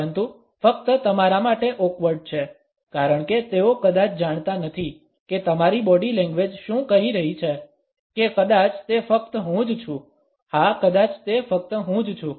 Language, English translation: Gujarati, But only awkward for you because they probably do not know what your body language is saying or maybe that is just me yeah it is probably just me